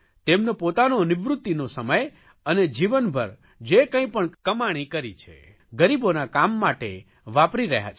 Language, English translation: Gujarati, They are spending their entire retirement time and whatever they have earned on working for the poor